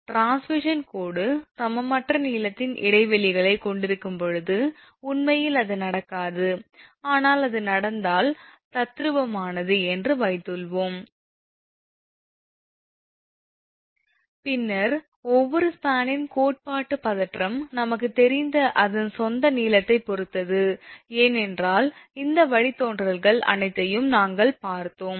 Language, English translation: Tamil, Suppose when your transmission line consists of spans of unequal length say, reality it generally does not happen, but suppose the theoretical if it happens, then theoretical tension of each span depends on its own length that we know, because we have seen all these derivation